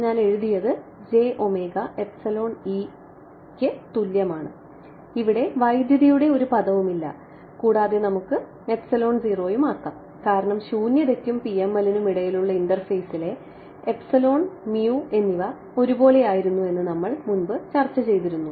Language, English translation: Malayalam, So, that I wrote was equal to j omega epsilon E there is no current term over here and further let us just make it epsilon naught because we had discussed previously that the between the interface I mean at the interface between vacuum and PML epsilon mu were the same right